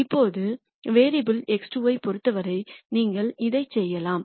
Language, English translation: Tamil, Now, you can do the same thing with respect to variable x 2